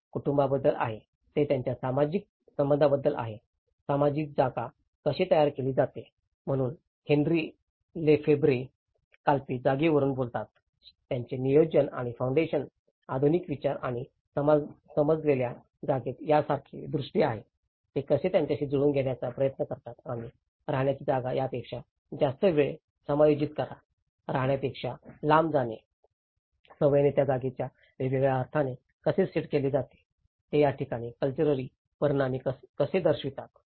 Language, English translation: Marathi, It is about the family, it is about their social relationship, how the social space is created, so Henri Lefebvre talks from the conceived space, which the planners or the foundation have vision like this in a modernistic understanding and the perceived space, how they try to adjust with it and the lived space come with a longer run adjustments, longer than accommodation, how the habitual practices set this place with a different meanings, how they manifest these places with the cultural dimension